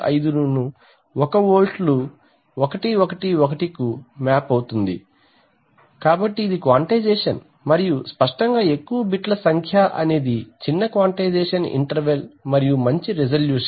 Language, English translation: Telugu, 875 to one volts we will get map to is 111, so this is quantization and obviously the higher the number of bits the smaller is the quantization interval and the better is a resolution